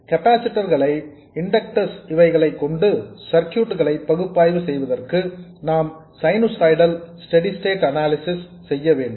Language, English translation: Tamil, In order to analyze a circuit which has capacitors and inductors, we need to do sinusoidal steady state analysis